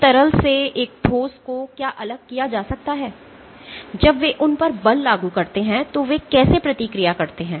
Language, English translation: Hindi, So, what distinguishes a solid from a liquid is how they respond when a force is applied on them